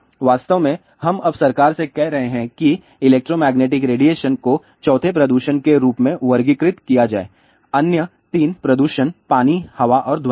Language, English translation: Hindi, In fact, we have been telling the government now , but let electromagnetic radiation be classified as fourth pollution the other three pollutions are water, air and noise